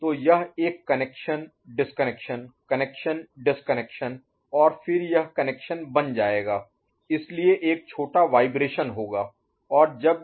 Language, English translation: Hindi, So it will make a connection disconnection, connection disconnection, connection and then it will settle, so there will be a small vibration, right